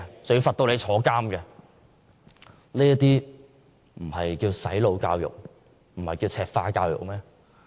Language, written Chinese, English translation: Cantonese, 這還不算"洗腦"教育和"赤化"教育嗎？, Is this not brainwashing and Mainlandization of our education system?